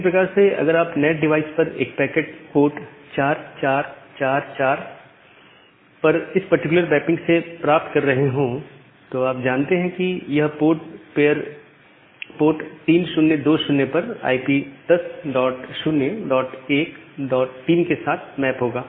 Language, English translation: Hindi, Similarly if you are receiving a packet at the NAT device at port 4444 from this particular mapping you know that this IP port pair will be mapped to 10 dot 0 dot 1 dot 3, it port 3020